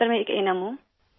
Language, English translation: Urdu, I am an ANM Sir